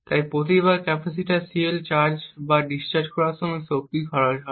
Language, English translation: Bengali, So power is consumed every time the capacitor CL either charges or discharges